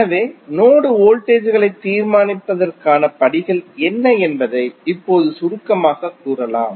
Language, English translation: Tamil, So, now you can summarize that what would be the steps to determine the node voltages